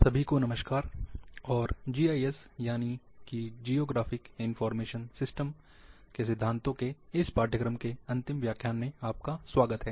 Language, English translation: Hindi, Hello everyone, and welcome to the last lecture of this course, of principles of GIS Geographic Information Systems